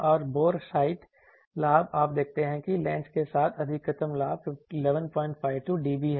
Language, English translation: Hindi, And bore sight gain you see gain maximum with lens is 11